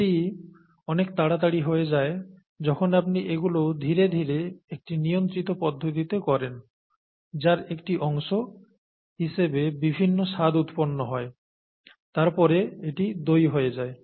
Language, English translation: Bengali, That happens quickly when you do that slowly in a controlled fashion with a lot of other flavours that get released as a part of this process then it becomes curd, that’s it